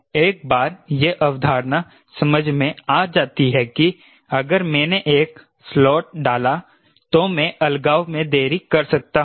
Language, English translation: Hindi, you, once this concept is understood that if i put a slot i can delay the separation so i can increase the deflections